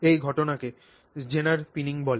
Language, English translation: Bengali, That is called zener pinning